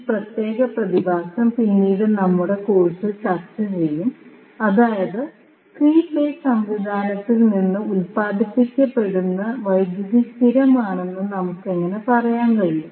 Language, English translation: Malayalam, So, this particular phenomena will discuss in later our course that how we can say that the power which is generated from the 3 phase system is constant